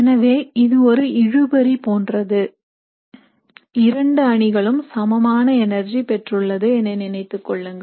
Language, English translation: Tamil, So it is almost like a tug of war, you imagine both the teams are equal in energy